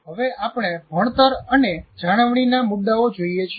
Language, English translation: Gujarati, Now we look at the issues of learning and retention